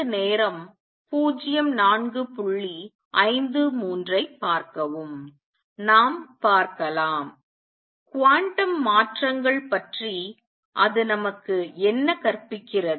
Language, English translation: Tamil, Let us see; what does it teach us about quantum transitions